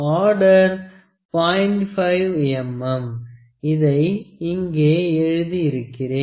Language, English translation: Tamil, 1 mm that I have just written here